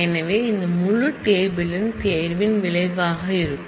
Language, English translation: Tamil, So, this whole relation would be the result of the selection